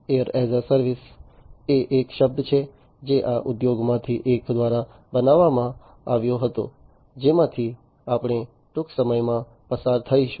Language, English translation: Gujarati, Air as a service is a term that was coined by one of these industries we will go through shortly